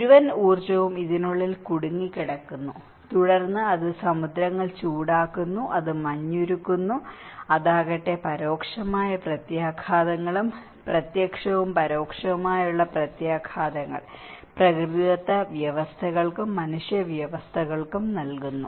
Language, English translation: Malayalam, And the whole energy is trapped inside this and then it is warming of the oceans, it is melting the ice, and in turn it is giving an indirect consequences and direct and indirect consequences on a natural systems and also the human systems